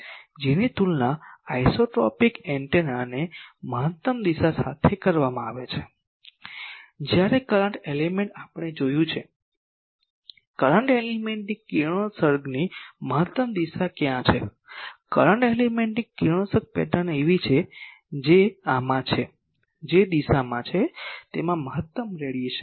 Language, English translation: Gujarati, 5, that is compared to an isotropic antenna the maximum direction when current element we have seen, where is the maximum direction of a current elements radiation, the radiation pattern of current element is something that in these direction it is having maximum radiation